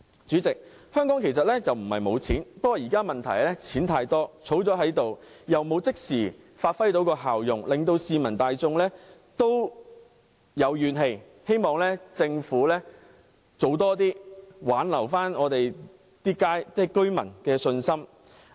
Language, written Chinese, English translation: Cantonese, 主席，香港不是沒有錢，現在的問題是錢太多，儲起來又未能即時發揮效用，令市民大眾有怨氣，希望政府多做事，挽回市民的信心。, Chairman Hong Kong is not short of money . The problem is that there is too much money and the money saved up does not serve any immediate purpose and this has caused popular grievances . I hope the Government can make more efforts to restore public confidence